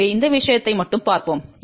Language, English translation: Tamil, So, let us just look into this thing